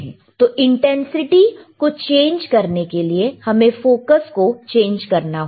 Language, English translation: Hindi, So, he have to we have to change the intensity, we have to change the focus